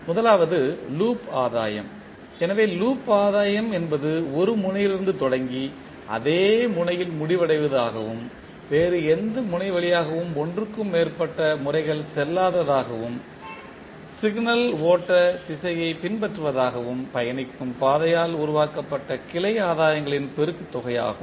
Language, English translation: Tamil, First is Loop gain, so loop gain is the product of branch gains formed by traversing the path that starts at a node and ends at the same node without passing through any other node more than once and following the direction of the signal flow